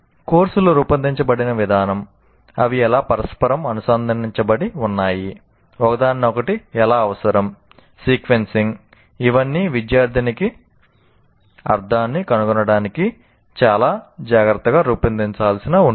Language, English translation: Telugu, The way the courses are designed, how they are interconnected, how one becomes a prerequisite to the other, the sequencing, all of them will have to be very carefully designed for the student to find meaning